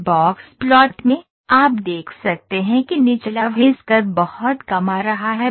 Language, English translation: Hindi, So, in this box plot, you can see the lower whisker is coming this low